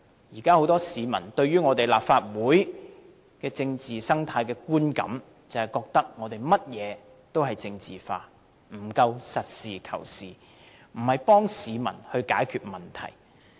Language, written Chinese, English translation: Cantonese, 現時很多市民對立法會政治生態的觀感，是覺得我們任何事情也政治化，不夠實事求是，不是幫市民解決問題。, Presently with regard to the political ecology in the Legislative Council many members of the public have a perception that we have politicalized everything but not fulfilling our functions and resolving problems for the people pragmatically